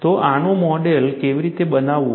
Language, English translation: Gujarati, So, how to model this